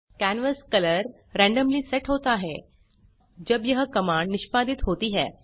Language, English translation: Hindi, The canvas color is randomly set when this command is executed